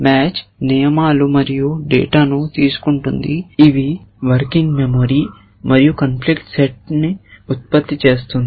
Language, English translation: Telugu, Match is taking rules and data which is working memory and producing the conflicts set